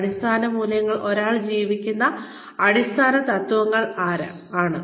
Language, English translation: Malayalam, Basic core values, core principles that one lives by